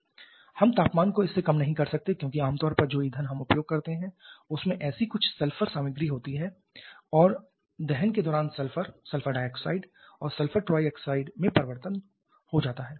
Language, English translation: Hindi, We cannot reduce the temperature lower than this because generally the fuel that we use that may have such certain sulphur content and during combustion that sulphur gets converted to sulphur dioxide and sulphur trioxide